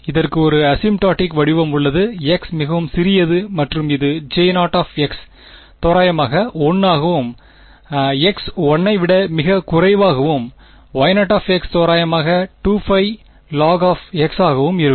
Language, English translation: Tamil, There exists an asymptotic form for this when x is very small and that is based on the fact that J 0 of x is approximately 1, when x is much much less than 1 and Y 0 of x is approximately 2 by pi log of x